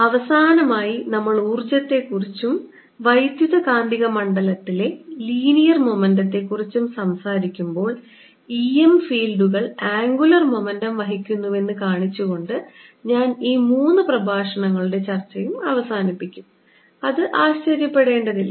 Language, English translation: Malayalam, finally, when we are talking about the energy content, linear momentum content, of the electromagnetic field, i will conclude this set of three lectures by showing that e m fields carry angular momentum also